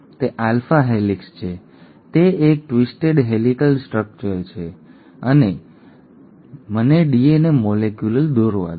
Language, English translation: Gujarati, It is an alpha helix, it is a twisted helical structure and; so let me draw DNA molecule